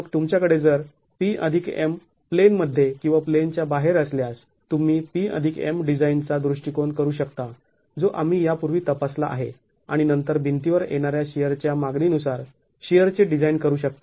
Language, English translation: Marathi, Then if you have P plus M in plane or out of plane, you can do the P plus M design approach that we have examined earlier and then the sheer design depending on the sheer demand coming on the wall